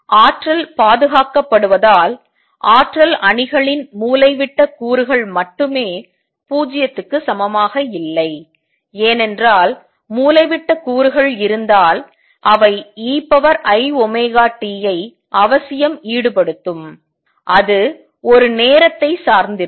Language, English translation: Tamil, Since energy is conserved only diagonal elements of energy matrix are not equal to 0, because if there were diagonal elements they will necessarily involve e raise to i omega t and that would make a time dependent